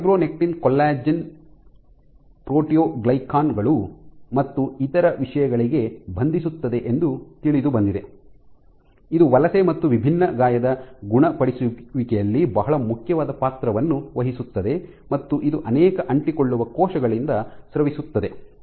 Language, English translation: Kannada, So, fibronectin is known to bind to collagens, proteoglycans and other things, it plays very important role in migration and differentiation wound healing and it is secreted by many adherent cells